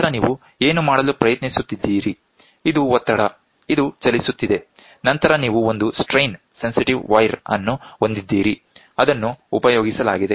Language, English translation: Kannada, And then what are you trying to do so, this is pressure is applied, this is moving so, then you have a strain sensitive wire which is used